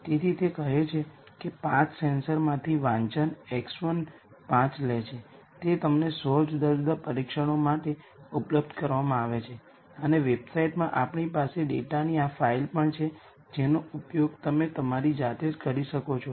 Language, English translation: Gujarati, So, it says reading from five sensors, x one takes five, are made available to you for 100 different tests and in the website we also have this file of data which you can use to go through this process on your own the readings are not arranged according to any order